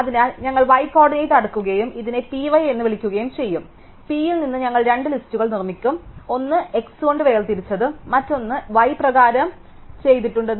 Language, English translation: Malayalam, So, we will sort on the y coordinate and call this P y, so from P we will produce two list, one sorted by x and one sorted by y